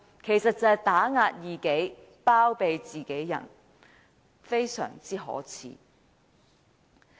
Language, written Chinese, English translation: Cantonese, 其實即打壓異己，包庇自己人，非常可耻。, Actually their acts of oppressing their opponents and condoning their peers are most despicable